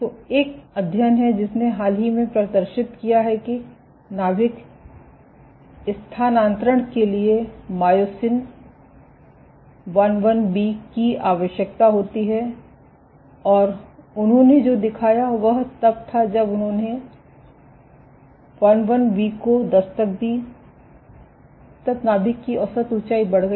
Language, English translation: Hindi, So, there is a study which recently demonstrated that myosin IIB is required for nuclear translocation, and what they showed was when they knocked down, when they knocked down IIB the average nuclear height increased